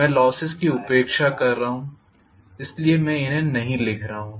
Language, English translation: Hindi, I am neglecting the losses, so I am not writing the losses at all